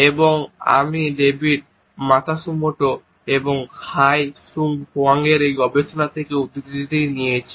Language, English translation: Bengali, And I quote from this study by David Matsumoto and Hyi Sung Hwang